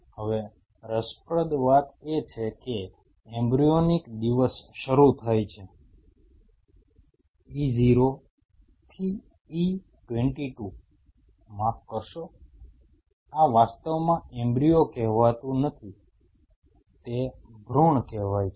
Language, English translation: Gujarati, Now interestingly So, the embryonic day starts from say E0 to say E22 when sorry, this is actually not calling run it is called fetal